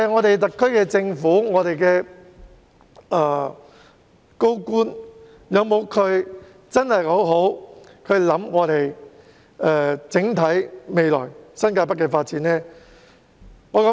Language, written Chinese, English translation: Cantonese, 特區政府和高官有否好好考慮新界北未來的整體發展呢？, Have the SAR Government and officials given some good thought to the future overall development of New Territories North?